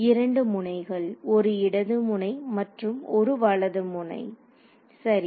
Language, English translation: Tamil, 2 nodes: a left node and a right node ok